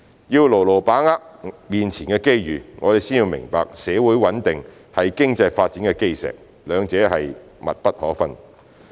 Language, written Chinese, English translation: Cantonese, 要牢牢把握面前的機遇，我們先要明白社會穩定是經濟發展的基石，兩者是密不可分的。, To firmly grasp the opportunities before us we must first be aware that social stability is the cornerstone of economic development and the two of them are inextricably linked